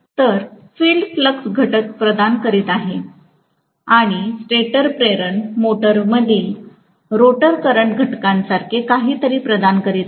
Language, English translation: Marathi, So, the field is providing the flux component and the stator is providing something similar to the rotor current components in an induction motor